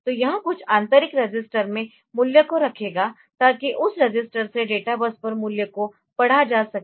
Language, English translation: Hindi, So, it will hold the value in some internal register so, to read the value of the value from that register on to the databus